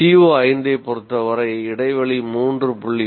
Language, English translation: Tamil, And in the case of CO5, the gap is 3